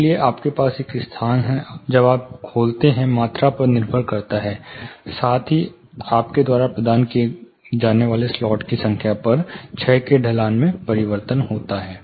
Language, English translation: Hindi, So, you have one space when you open up depends volume plus the number of slots you are providing, the slopes of decay changes